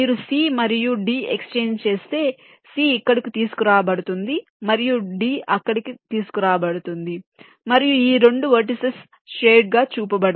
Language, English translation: Telugu, if you exchange c and d, c is brought here and d is brought there, and this two vertices are shown, shaded